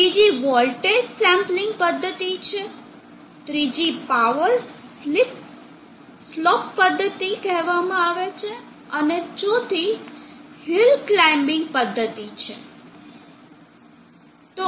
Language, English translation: Gujarati, The second is the voltage sampling method, the third is called the power slope method, and the fourth one is a hill climbing method